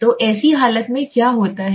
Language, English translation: Hindi, So in such a condition what happens